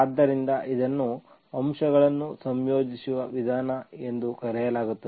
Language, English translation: Kannada, So this is called the method of integrating factors